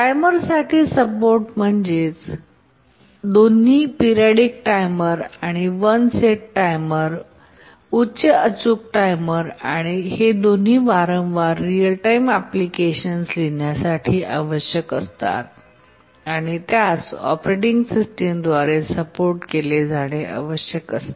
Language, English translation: Marathi, Support for timers, both periodic timers and one set timers, high precision timers, these are frequently required in writing real time applications and need to be supported by the operating system